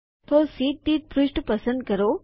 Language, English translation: Gujarati, So, select Pages per sheet